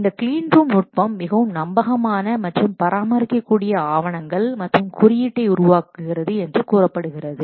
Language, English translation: Tamil, This clean room technique reportedly produces documentation and code that are more reliable and maintainable